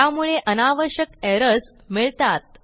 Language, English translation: Marathi, And this gives unnecessary errors